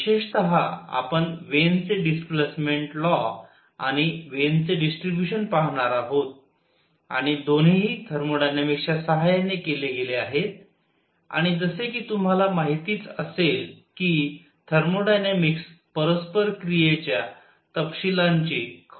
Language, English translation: Marathi, In particular, we are going to look at Wien’s displacement law and Wien’s distribution and both are done using thermodynamics and as you must know, the thermodynamic does not really care about the details of interaction